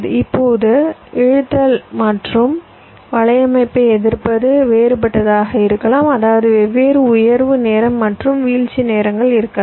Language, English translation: Tamil, now the resistances of the pull up and pull down network may be different, which means different rise time and fall times